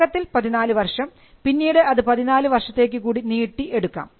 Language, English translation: Malayalam, So, the initial term was 14 years which could be extended to another 14 years